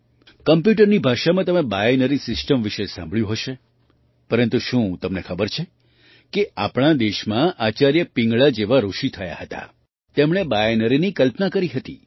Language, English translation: Gujarati, You must have also heard about the binary system in the language of computer, butDo you know that in our country there were sages like Acharya Pingala, who postulated the binary